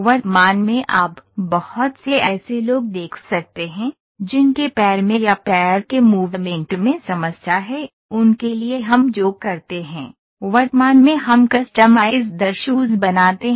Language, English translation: Hindi, Currently you can see lot of people who have issues in their leg or we have movement, for them what we do is, we currently make customized shoes